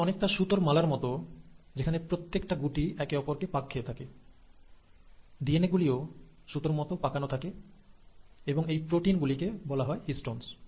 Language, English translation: Bengali, So it's like, you have a string of beads, where each bead around that bead, the DNA strand wraps, and those proteins are called as the Histones